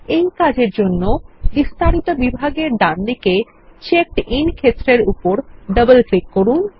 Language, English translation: Bengali, For this, we will double click on the CheckedIn field on the right in the Detail section